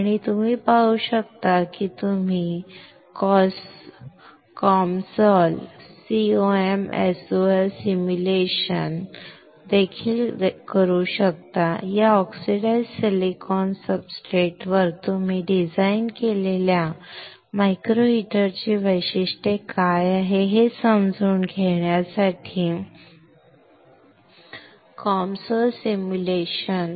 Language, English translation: Marathi, And you can see that you can also perform the COMSOL simulation; COMSOL simulation to understand what is the heating characteristics of the micro heater that you have designed on this oxidized silicon substrate, right